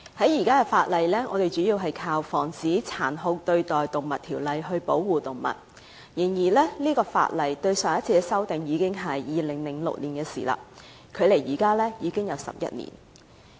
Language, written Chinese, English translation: Cantonese, 現時我們主要靠《防止殘酷對待動物條例》來保護動物。但上一次修訂這項法例已經是2006年的事，距離現在已經11年。, We mainly rely on the Prevention of Cruelty to Animals Ordinance for the protection of animals but the Ordinance was last amended in 2006 which was 11 years ago